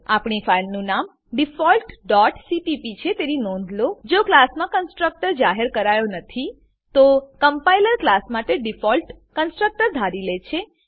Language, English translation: Gujarati, Note that our filename is default dot cpp If a constructor is not declared in the class, Then the compiler assumes a default constructor for the class